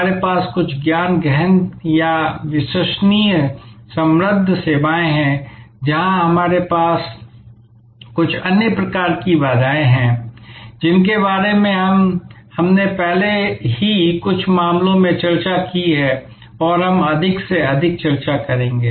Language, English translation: Hindi, We have certain knowledge intensive or credence rich services, where we have certain other types of barriers, which we have already discussed in some cases and we will discuss more and more